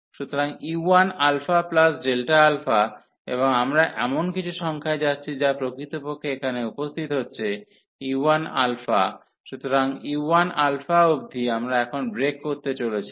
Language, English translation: Bengali, So, u 1 alpha plus delta alpha, and we are going to some number this which is actually appearing here u 1 alpha, so up to u 1 alpha this integral, we are going to break now